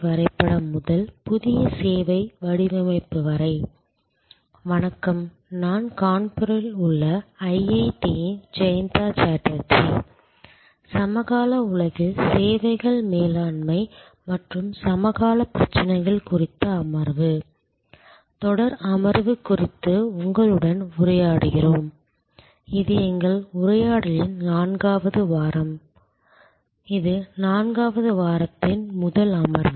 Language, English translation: Tamil, Hello, I am Jayanta Chatterjee of IIT, Kanpur and we are interacting with you on the session, series of session on services management in the contemporary world and the contemporary issues, this is the fourth week of our interaction, this is the first session of the fourth week